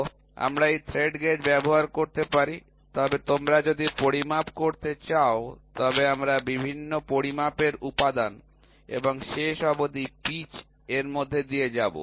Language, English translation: Bengali, So, we can use this thread gauge, but if you want to do measurements then we will undergo various elements in measurement and finally pitch